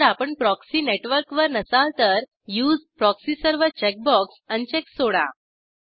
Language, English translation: Marathi, If you are not on a proxy network then leave the Use proxy server checkbox unchecked